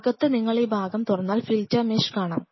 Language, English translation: Malayalam, And inside if you open this part you will see the filter mesh